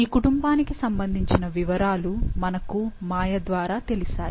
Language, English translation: Telugu, We got the information about this family through Maya